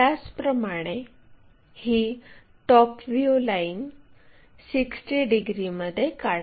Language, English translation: Marathi, Similarly, let us draw in the top view 60 degrees line